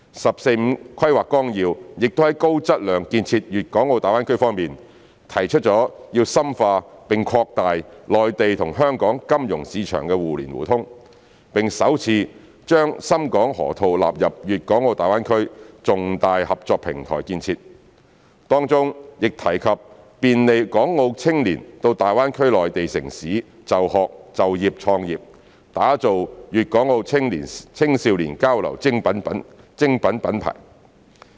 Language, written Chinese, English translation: Cantonese, 《十四五規劃綱要》亦在高質量建設大灣區方面，提出要深化並擴大內地與香港金融市場互聯互通，並首次把深港河套納入大灣區重大合作平台建設，當中亦提及便利港澳青年到大灣區內地城市就學、就業和創業，打造粤港澳青少年交流精品品牌。, Regarding high - quality GBA development the 14th Five - Year Plan also mentions the deepening and widening of mutual access between the financial markets of the Mainland and Hong Kong and for the first time includes Shenzhen - Hong Kong Loop as a major platform of cooperation in GBA . It also mentions the facilitation for the young people of Hong Kong and Macao to study work and start business in the Mainland cities of GBA and the establishment of a brand of quality exchanges among the young people of Guangdong Hong Kong and Macao